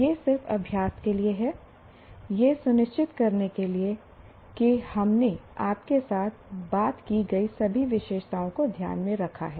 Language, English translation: Hindi, This is for just practice just to make sure all the features we talked about you are able to take into consideration